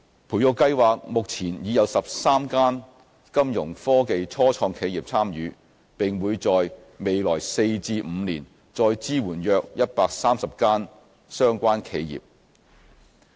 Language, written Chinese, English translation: Cantonese, 培育計劃目前已有13間金融科技初創企業參與，並會在未來4至5年再支援約130間相關企業。, So far 13 Fintech start - ups have been admitted to the incubation programme and Cyberport will provide support to another 130 or so Fintech companies over the next four to five years